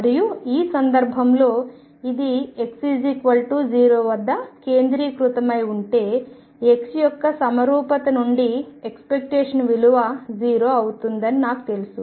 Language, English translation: Telugu, And in this case if this is centered at x equal to 0, I know the expectation value from symmetry of x is going to be 0